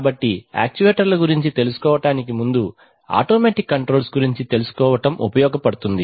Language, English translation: Telugu, So it is useful to learn about automatic controls before learning about actuators